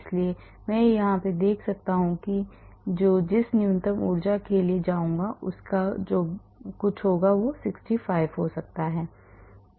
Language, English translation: Hindi, So, if I am looking at the minimum energy I will go for may be some 65